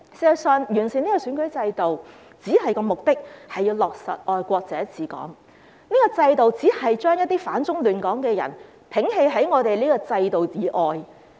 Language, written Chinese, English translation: Cantonese, 事實上，完善選舉制度的目的只是要落實"愛國者治港"，這個制度只是將一些反中亂港的人摒棄於制度以外。, In fact the purpose of improving the electoral system is simply to implement the principle of patriots administering Hong Kong which only excludes those who oppose China and disrupt Hong Kong from the system